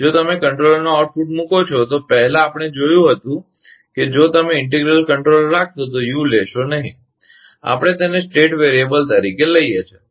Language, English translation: Gujarati, If you put output of the controller, earlier, we have seen that if you put integral control, u will not take; we take this as a state variable